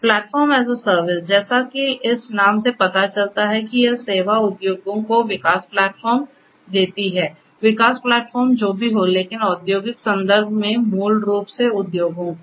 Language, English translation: Hindi, Platform as a service; as this name suggests this service gives development platforms to the industries, development platforms to whoever, but in the industrial context basically the industries